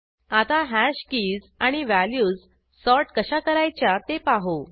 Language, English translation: Marathi, Let us look at sorting of a hash keys and values